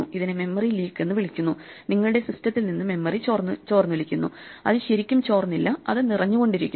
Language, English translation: Malayalam, So this is called a Memory leak, the memory is leaking out of your system, it is not really leaking out, it is getting filled out